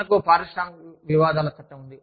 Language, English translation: Telugu, We have, Industrial Disputes Act